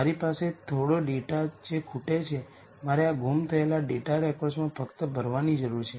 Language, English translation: Gujarati, I have some data which is missing I simply need to ll in these missing data records